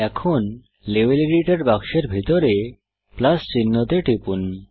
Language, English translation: Bengali, Now under the Level Editor box, click on the Plus sign